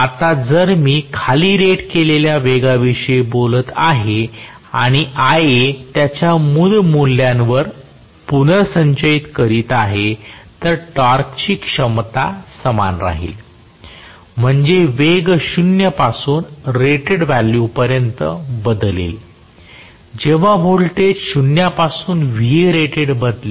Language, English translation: Marathi, Now, if I am talking about below rated speed and Ia restoring to its original value, torque capability remains the same, that means the speed will change from 0 to rated value, when voltage changes from 0 to Vrated